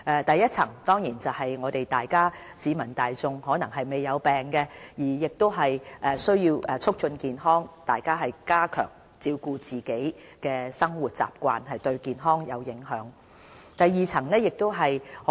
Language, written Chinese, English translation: Cantonese, 第一層的工作對象是市民大眾，他們或許沒有患病，但亦需要促進健康，加強自我照顧，多注意會影響健康的生活習慣。, The first level of preventive work targets at the general public or healthy residents who do not suffered from any diseases . Focusing on health promotion we seek to strengthen their capability in self - care and raise their awareness of any undesirable health habits